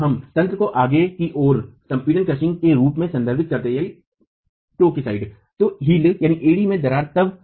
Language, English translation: Hindi, So, we refer to the mechanism as toe crushing, but what has happened at the serviceability state is heel cracking